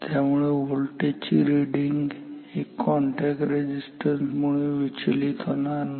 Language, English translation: Marathi, So, therefore, the voltage reading is not disturbed by these contact resistances